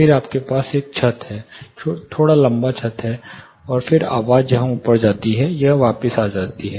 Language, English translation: Hindi, Then you have a ceiling slightly tall ceiling, and then the sound goes off hear it comes back